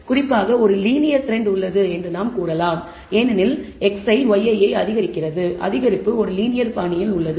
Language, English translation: Tamil, In particular we can say there is even a linear trend as x I increases y i corresponding the increase is in a linear fashion